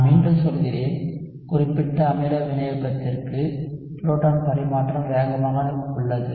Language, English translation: Tamil, I repeat, for specific acid catalysis, proton transfer is fast